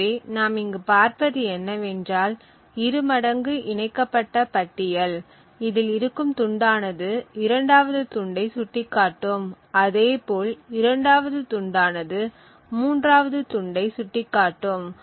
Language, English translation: Tamil, So what we have seen over here is a doubly linked list we have this chunk which is pointing to the second chunk, the second chunk points to the third chunk, third chunk points the four chunk and the other way also